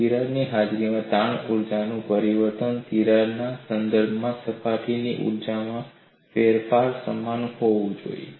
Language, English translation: Gujarati, The change of strain energy in the presence of a crack should be equal to change of surface energy with respect to the crack